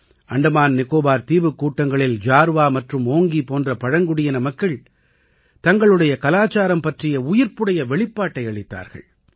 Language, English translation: Tamil, In the AndamanNicobar archipelago, people from tribal communities such as Jarwa and Onge vibrantly displayed their culture